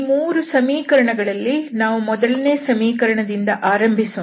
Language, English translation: Kannada, So, having these 3 equations we will start with the first one